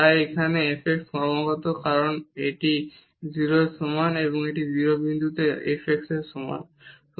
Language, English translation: Bengali, So, here the f x is continuous because this is equal to 0 and this is the value of the f x at 0 0 point